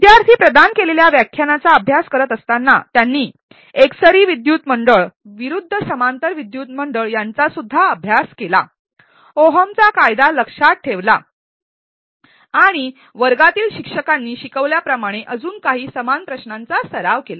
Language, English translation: Marathi, While the students studied the definitions that they were provided, they also studied about series and versus parallel circuits, memorized Ohm's law and practiced some similar questions as demonstrated by the instructor in the class